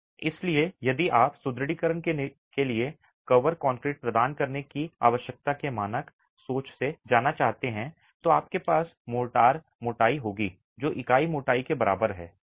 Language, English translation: Hindi, So, if you were to go by the standard thinking of the need to provide cover concrete for the reinforcement, you will have mortar thicknesses which are comparable to unit thicknesses